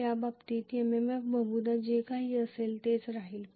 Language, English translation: Marathi, In the first case MMF has has remained probably the same whatever